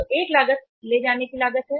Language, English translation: Hindi, So one cost is the carrying cost